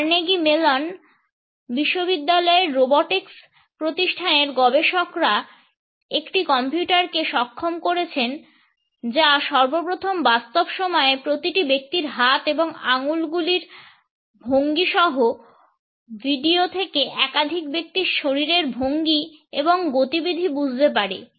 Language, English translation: Bengali, Researchers at Carnegie Mellon University’s Robotics Institute have enabled a computer, which can understand the body poses and movements of multiple people from video in real time